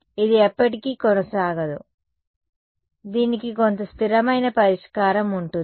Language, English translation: Telugu, It will not continue forever, there will be some steady state solution to this ok